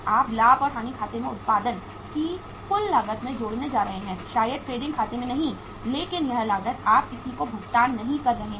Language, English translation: Hindi, You are going to add up in the total cost of production in the profit and loss account maybe not in the trading account but that cost you are not going to pay to anybody